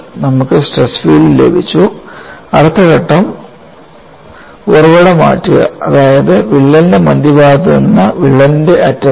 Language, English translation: Malayalam, We got the stress field then the next step was shift the origin that means from center of the crack to the tip of the crack